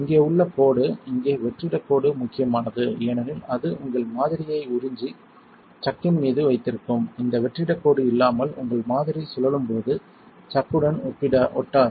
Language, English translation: Tamil, The line here the vacuum line here is important because it sucks in and holds your sample on the chuck, without this vacuum line your sample will not stick to the chuck as a spins